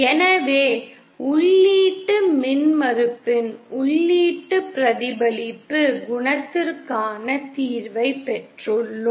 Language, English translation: Tamil, So we have obtained solution for the input reflection coefficient of input impedance